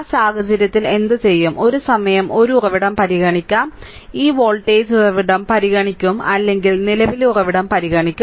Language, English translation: Malayalam, So, in that case what we what will do, will consider one source at a time, once will consider this voltage source or will consider the current source right